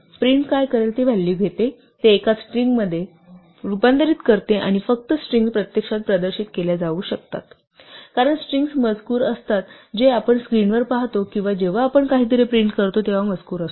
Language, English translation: Marathi, So, what print will do is take a value, convert it to a string and only strings can actually be displayed, because strings are texts what we see on the screen or when we print out something is text